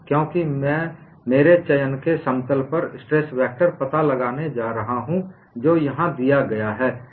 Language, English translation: Hindi, Because I am going to find out stress vector on a plane of my choice and that is what is given here